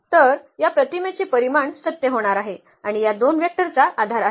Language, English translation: Marathi, So, the dimension of this image is going to be true and the basis these two vectors